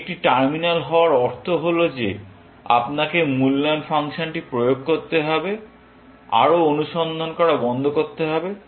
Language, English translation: Bengali, The implication of being a terminal is that you have to apply the evaluation function stop searching further, essentially